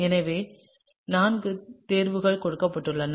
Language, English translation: Tamil, So, there are four choices that are given